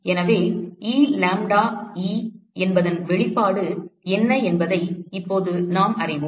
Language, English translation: Tamil, So, now we know what is the expression for Elambda,e